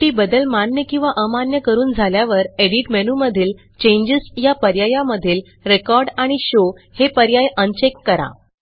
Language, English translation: Marathi, Finally, after accepting or rejecting changes, we should go to EDIT CHANGES and uncheck Record and Show options